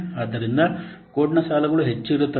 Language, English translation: Kannada, So the lines of code may be different